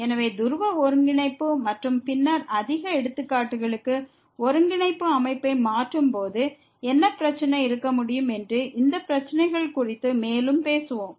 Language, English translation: Tamil, So, we will talk more on these issues that what could be the problem by while changing the coordinate system to polar coordinate and more examples later